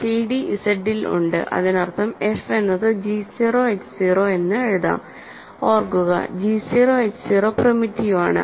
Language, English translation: Malayalam, So, cd is in Z that means, f can be written as g 0 h 0, right